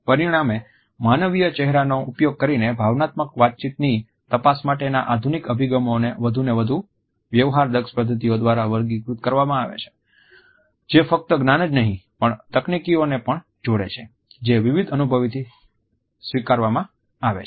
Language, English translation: Gujarati, As a result, the modern approaches to an examination of emotion communication using human face are characterized by increasingly sophisticated methods that combine not only the knowledge, but also the techniques which have been imported from diverse feels